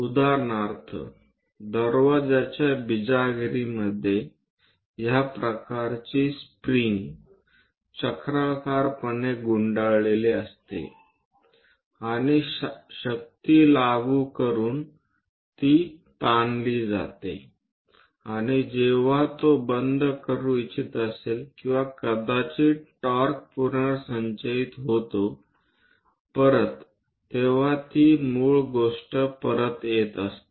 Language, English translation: Marathi, For example, like if you are going to take your door damper that also contains is kind of spring spirally wounded and by applying forces it gets stretched and when it wants to close or perhaps to restore the torque it again comes back to it is original thing